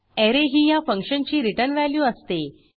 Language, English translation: Marathi, The return value of this function is an Array